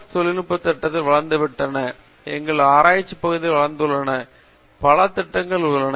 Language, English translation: Tamil, Tech programs have grown, our research areas have grown and there is so many projects also